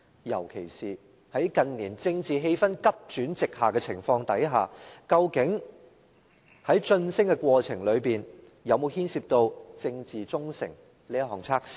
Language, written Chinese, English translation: Cantonese, 尤其是在近年政治氣氛急轉直下的情況下，究竟在晉升的過程中有否牽涉政治忠誠這項測試呢？, Given the dramatic changes in the political climate in recent years we simply wonder whether any political loyalty test has been applied in the promotion process